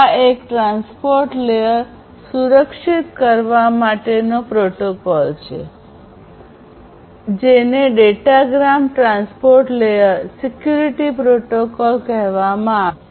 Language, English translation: Gujarati, So, this there is a protocol which is called the Datagram Transport Layer Security Protocol; for securing the transport layer